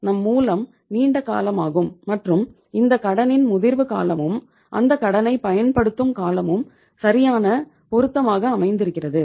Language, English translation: Tamil, Our source is long term and both the maturity period of the loan as well as the utilization of the loan period are matching with each other